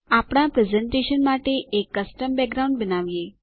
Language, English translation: Gujarati, Lets create a custom background for our presentation